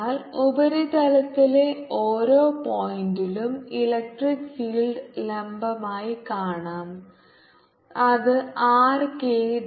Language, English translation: Malayalam, so we can see electric field is perpendicular at every point on the surface which is along the r k direction